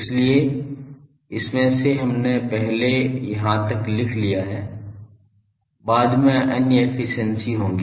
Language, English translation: Hindi, So, out of that we have written up to this there will be other efficiencies later